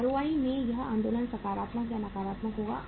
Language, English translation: Hindi, That movement in the ROI will be positive or negative